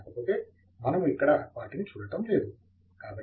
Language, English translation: Telugu, However, we will not be looking at them here